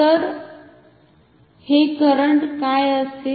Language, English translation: Marathi, So, what will be this current